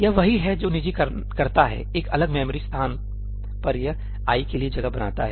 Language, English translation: Hindi, that is what private does at a separate memory location it creates space for i